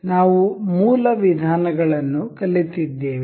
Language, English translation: Kannada, So, we have learnt we have learnt the basic methods